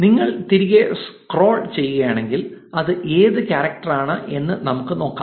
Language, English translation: Malayalam, And if you scroll back, we can probably look at what character it was